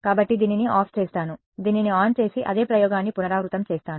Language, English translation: Telugu, So I will turn this guy off, turn this guy on and repeat the same experiment